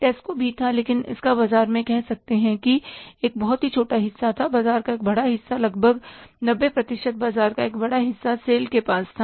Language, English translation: Hindi, So, Tesco was also there, but it had a very, as you can call it as a small market share, large market share was, about 90% market share was with the sale